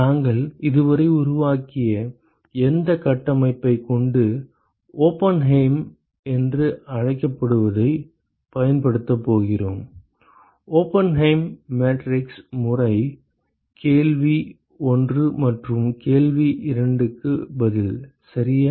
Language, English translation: Tamil, With whatever framework that we have developed so far, so, we are going to use what is called the Oppenheim; Oppenheim matrix method to answer question 1 and question 2 ok